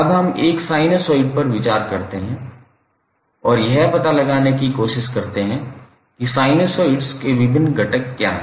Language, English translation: Hindi, Now let's consider one sinusoid and try to find out what are the various components of the sinusoids